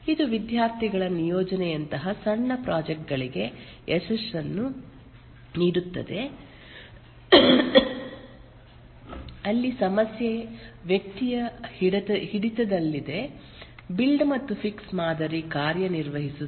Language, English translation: Kannada, This yields success for very small projects like a student assignment where the problem is within the grasp of an individual, the build and fixed model works